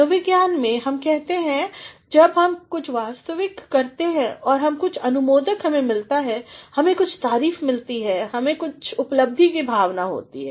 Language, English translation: Hindi, In psychology, we say when we do something real and we get some approval, we get some appreciation, we have a sense of achievement